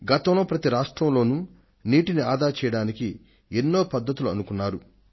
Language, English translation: Telugu, Lately, in all the states a lot of measures have been taken for water conservation